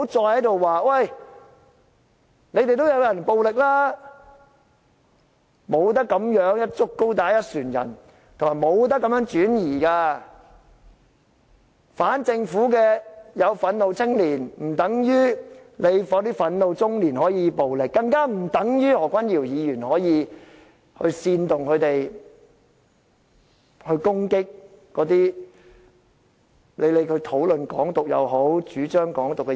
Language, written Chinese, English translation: Cantonese, 不要再說你們也有人很暴力，不能這樣"一竹篙打一船人"，亦不能轉移視線，反政府的有憤怒青年，不等於憤怒中年就可以作出暴力的行為，更不等於何君堯議員可以煽動他們攻擊那些討論或主張"港獨"的人。, Neither painting all people with the same brush nor distracting peoples attention is helpful . Some frustrated youth are anti - government does not necessarily mean the frustrated midlife can act violently . Nor does this mean Dr Junius HO can incite them to attack people who discuss or advocate Hong Kong independence